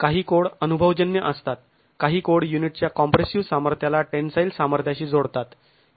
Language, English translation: Marathi, Some codes go empirical, some codes link it to the tensile strength, the compressor strength of the unit